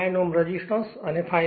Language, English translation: Gujarati, 9 ohm resistance and 5